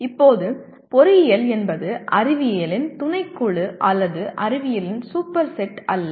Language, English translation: Tamil, Now, engineering is not a subset of science nor a superset of science